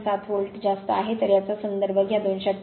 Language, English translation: Marathi, 7 volt, so take it a reference 288